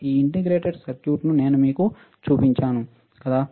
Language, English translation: Telugu, I have shown you this integrated circuit, isn't it